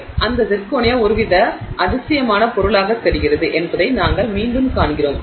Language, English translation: Tamil, So, we see again that zirconia seems to be some kind of a wonder material